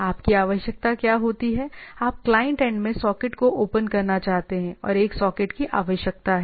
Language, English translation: Hindi, So, what you require you require a socket to be opened at the client end